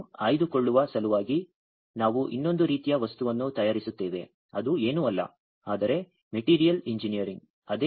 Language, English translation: Kannada, In order to make it selective we also do another type of material prepare whatever we do that is nothing, but materials engineering